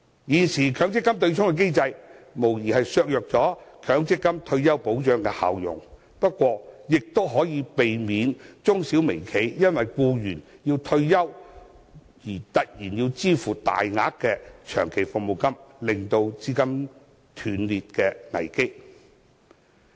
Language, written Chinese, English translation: Cantonese, 現時的強積金對沖機制無疑削弱了強積金退休保障的效用，不過，亦可避免中小微企因為僱員退休而突然要支付大額的長期服務金，令資金鏈陷入斷裂的危機。, The present MPF offsetting arrangement unquestionably reduces the retirement protection rendered by the MPF Scheme but it also saves SMEs and micro - enterprises from the risk of capital chain rupture due to a sudden need to make a large sum of long service payments for their retiring employees